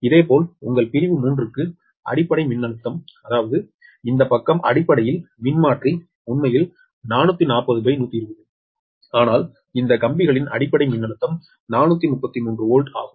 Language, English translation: Tamil, similarly, for the base voltage, your, for section three, that means this side, this side, basically transformer, actually four forty upon one, twenty, but this lines volt base voltage is four thirty three